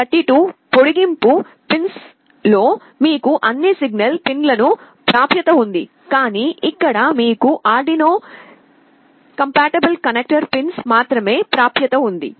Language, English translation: Telugu, In the STM32 extension pins, you have access to all the signal pins, but here you have access to only the Arduino compatible connector pins